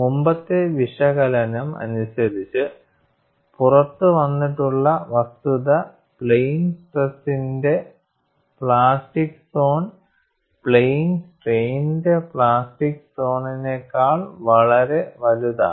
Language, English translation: Malayalam, The previous analysis has brought out the fact that, the plastic zone is much larger for plane stress than plane strain